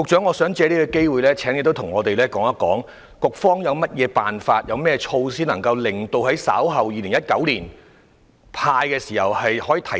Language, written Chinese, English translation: Cantonese, 我想藉此機會請局長告訴我們，局方有甚麼方法及措施令稍後在2019年"派錢"時的效率得以提升？, May I take this opportunity to ask the Secretary what methods and measures will be put in place to enhance the efficiency when handing out cash in 2019?